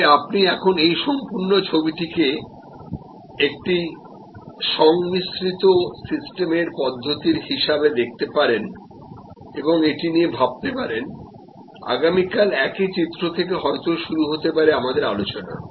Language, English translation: Bengali, But, you can now look at this whole picture as a composite systems approach and think about it will start our discussion could the same picture tomorrow